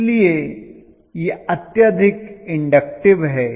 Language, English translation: Hindi, So this is highly inductive in nature